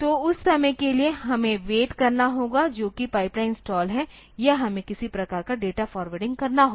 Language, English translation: Hindi, So, for that much time we have to wait that is pipeline stall or we have to do some sort of data forwarding